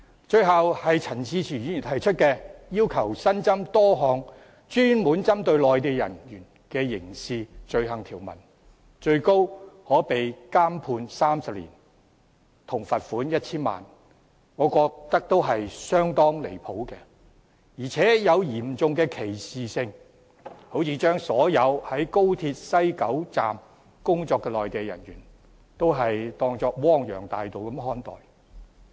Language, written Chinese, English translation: Cantonese, 最後是陳志全議員提出要求新增多項專門針對內地人員的刑事罪行條文，最高可判監30年及罰款 1,000 萬元，我認為相當離譜，而且帶有嚴重歧視，好像把所有在高鐵西九龍站工作的內地人員視為汪洋大盜般看待。, The last one is Mr CHAN Chi - chuens request to add a number of criminal offence provisions specifically targeting Mainland personnel punishable by a maximum penalty of imprisonment for 30 years and a fine of 10,000,000 . I consider that it has gone way too far and constituted vicious discrimination which is like treating all Mainland personnel working at WKS of XRL as bandits